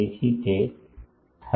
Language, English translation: Gujarati, So, that is 30